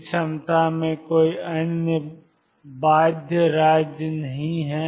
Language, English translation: Hindi, There are no other bound states in this potential